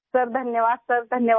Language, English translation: Hindi, Thank you sir, thank you sir